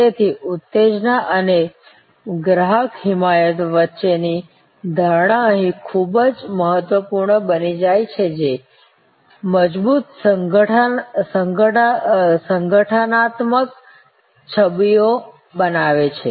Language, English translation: Gujarati, So, stimulation and simulation of customer advocacy becomes very important here creates strong organizational images